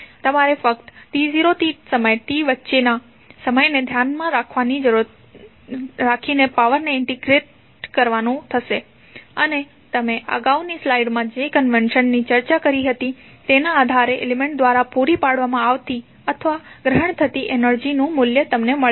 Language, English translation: Gujarati, You have to just simply integrate the power with respect to time between t not to t and you will get the value of energy supplied or absorbed by the element based on the convention which we discussed in the previous slide